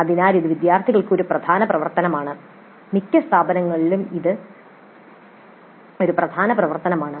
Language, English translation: Malayalam, So it is a major activity for the students and in most of the institutes this is a core activity